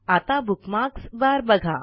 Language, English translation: Marathi, Now lets look at the Bookmarks bar